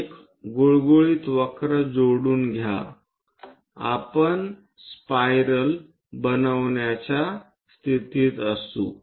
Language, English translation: Marathi, Join a smooth curve on that we will be in a position to get spiral